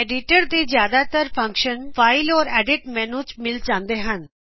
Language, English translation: Punjabi, Most of the functions of the editor can be found in the File and Edit menus